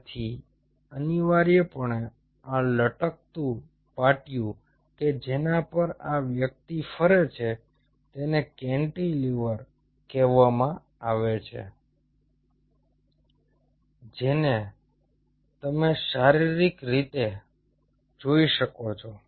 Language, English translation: Gujarati, so, essentially, this suspended plank on which this person moves, this is called a cantilever, which you can physically see